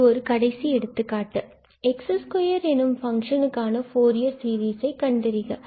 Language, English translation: Tamil, So consider, for instance the Fourier series of this function f x equal to x